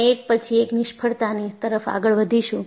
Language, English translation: Gujarati, So, we will go one failure after the other